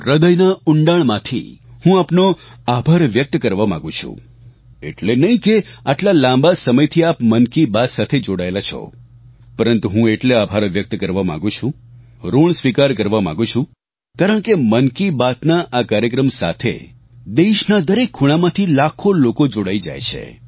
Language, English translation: Gujarati, I want to thank you from the core of my heart, not because you have been connected with Mann Ki Baat, for such a long time I want to express my gratitude and indebtedness as millions of people from across the country come together with Mann ki Baat